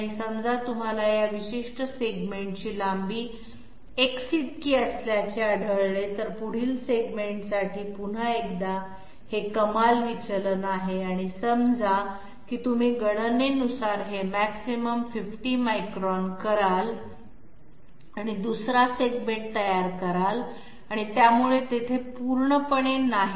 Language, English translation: Marathi, And suppose you find that this particular segment length is equal to say X, for the next segment once again this is the maximum deviation and this is say this you equate to 50 microns by calculations and come up with another segment and therefore there is absolutely no reason why these should be equal to each other